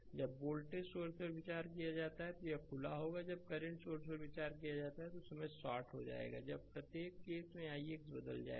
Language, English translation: Hindi, When you consider the voltage source this will be open, when will consider current source this will be shorted at that time each case i x will change